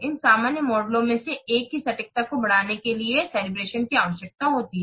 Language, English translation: Hindi, Calivation is needed to increase the accuracy of one of these general models